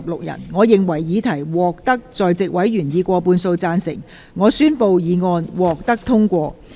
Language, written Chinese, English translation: Cantonese, 由於議題獲得在席委員以過半數贊成，她於是宣布議案獲得通過。, Since the question was agreed by a majority of the Members present she therefore declared that the motion was passed